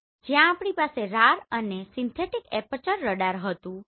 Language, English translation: Gujarati, So where we had this RAR and synthetic aperture radar right